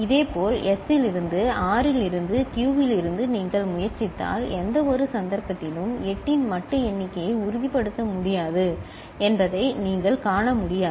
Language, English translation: Tamil, Similarly, from S from R from Q if you try, in none of the cases you can see that a modulo count of 8 can be ensured